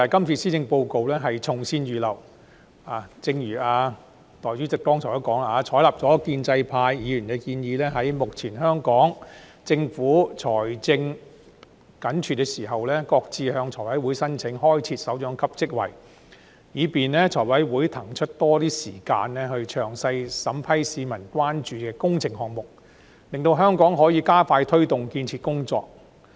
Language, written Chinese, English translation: Cantonese, 正如代理主席剛才所說，採納了建制派議員的建議，在目前香港政府財政緊絀的時候，擱置向財務委員會申請開設首長級職位，以便財委會騰出較多時間詳細審批市民關注的工程項目，令香港可以加快推動建設工作。, As Deputy President said just now it has adopted the proposal of the pro - establishment Members to shelve the applications to the Finance Committee FC for the creation of directorate posts at the current time when the Hong Kong Government is financially stretched so that FC can spare more time to attend to details when vetting and approving works projects of public concern and thus expedite the construction work in Hong Kong